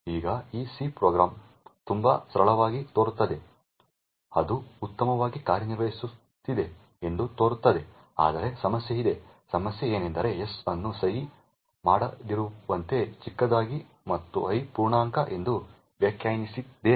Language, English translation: Kannada, Now this C program seems pretty straightforward it seems to be working fine but there is a problem, the problem is that we have defined s to be unsigned short and i to be of integer